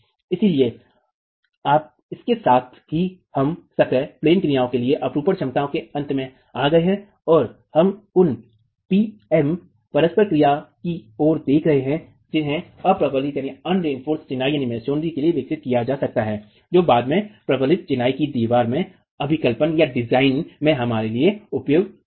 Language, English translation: Hindi, So, with that we come to the end of sheer capacity for in plain actions and we will be looking at PM interactions that can be developed for the unreinforced masonry which will be of use for us later in design of reinforced masonry walls